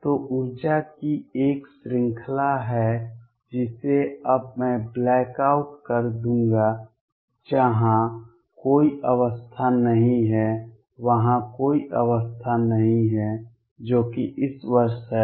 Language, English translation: Hindi, So, there is a range of energy which I will now black out where no state exists there is no state that is this year